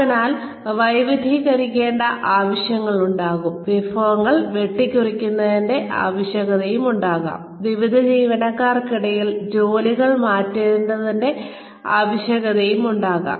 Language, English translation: Malayalam, Or, , there could be a need to diversify, there could be a need to cut down resources, there could be a need to rotate jobs among various employees